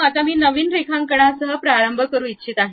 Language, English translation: Marathi, Now, I would like to begin with a new drawing